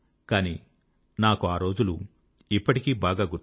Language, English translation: Telugu, But I remember that day vividly